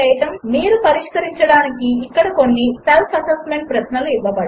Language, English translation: Telugu, Here are some self assessment questions for you to solve 1